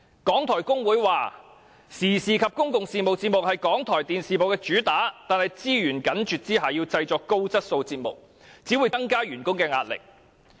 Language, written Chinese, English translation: Cantonese, 港台工會表示，時事及公共事務節目是港台電視部的主打，但在資源緊絀下製作高質素節目，只會增加員工的壓力。, According to the RTHK staff union public and current affairs programmes are the mainstay of RTHK TV but the production of quality programmes with tight resources will only add to the burden on the staff